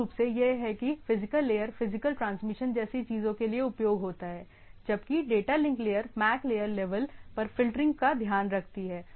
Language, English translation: Hindi, One is basically that different like at the physical layer is more of the physical transmission of the things, whereas data link layer takes care of the filtering at the MAC layer level